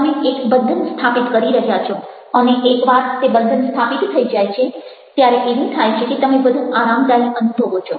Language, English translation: Gujarati, you are building up a bond and once that bond is established, then what happens is that you feel more comfortable